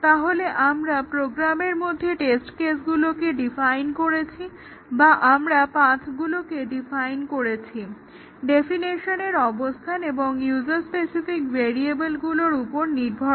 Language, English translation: Bengali, So, the test cases are defined or we define paths through the program based on what are the locations of definition and user specific variables